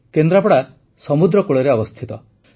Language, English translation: Odia, Kendrapara is on the sea coast